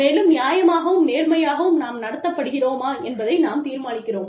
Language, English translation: Tamil, And, we decide, whether we have been treated, fairly and justly